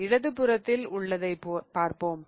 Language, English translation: Tamil, So, let's look at the one with the one on the left hand side